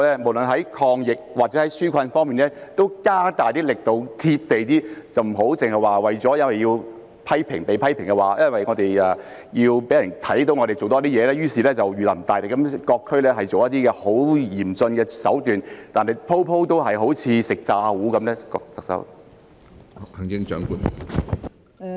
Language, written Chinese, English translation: Cantonese, 無論在抗疫或紓困方面都加大力度、"貼地"一點，不要只是因為被批評，因為要讓市民看到我們多做事，於是就如臨大敵，在各區採取一些很嚴峻的手段，但每次都好像"食詐糊"般呢？, No matter whether it is in fighting the epidemic or relieving peoples burden could she step up the efforts and be more down - to - earth instead of―simply because she got criticized or because she wanted to show the public that much has been done―adopting some very stringent measures in various districts as if she was facing a formidable enemy which however turned out to be a false alarm every time?